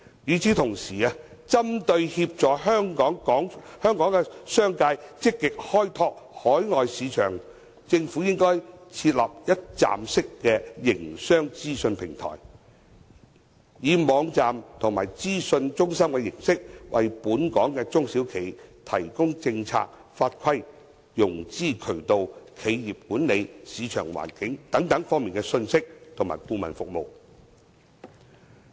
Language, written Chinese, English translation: Cantonese, 與此同時，針對協助港商積極開拓海外市場，政府應該設立一站式營商資訊平台，以網站及資訊中心的形式，為本港中小企提供政策法規、融資渠道、企業管理、市場環境等方面的資訊及顧問服務。, In the meantime to facilitate Hong Kong businessmen to actively explore overseas markets the Government should set up a one - stop platform on business information . This platform may take the form of a website and information centre which provides local SMEs with information and consultancy services in the areas of policies laws and regulations financial intermediation channels corporate governance business situations etc